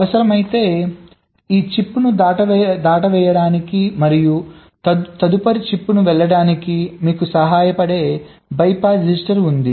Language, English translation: Telugu, there is a bypass register which can help you to skip this chip and go to the next chip if required